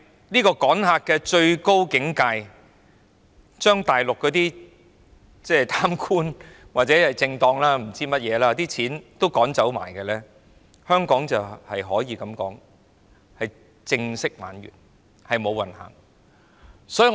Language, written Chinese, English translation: Cantonese, 不過，趕客的最高境界，就是將大陸的貪官、政黨或不知甚麼人的錢也趕走，屆時香港可以宣布正式"玩完"、"無運行"。, Yet the ultimate approach to driving people away is to drive away all the money from corrupt Mainland officials or political parties as well as all the others . By then we can announce that Hong Kong is absolutely game over and will be left luckless